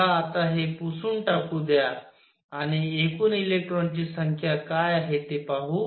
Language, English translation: Marathi, Let me now erase this and see what the total number of electrons is